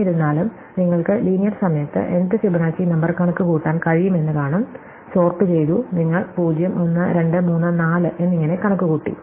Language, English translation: Malayalam, Even though, we can see that you can just compute nth Fibonacci number in linear time, we just sorted, you just computed as the 0, 1, 2, 3, 4 and so on